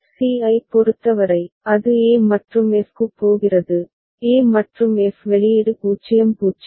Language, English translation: Tamil, For c, it is going to e and f, e and f output is 0 0